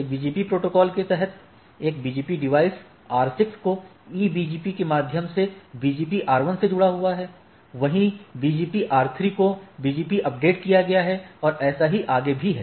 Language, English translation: Hindi, And this when this protocol BGP this BGP device R6 connected to the a BGP R1 through these IBGP updated to BGP R3 and goes like that and so and so forth right